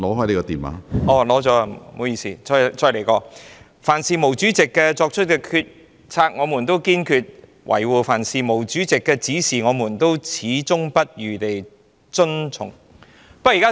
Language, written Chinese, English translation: Cantonese, 讓我再說一遍："凡是毛主席作出的決定，我們都堅決維護；凡是毛主席的指示，我們都矢志不渝地遵從。, Well let me say it once again We firmly uphold every single decision Chairman MAO makes and we unswervingly follow all instructions given by Chairman MAO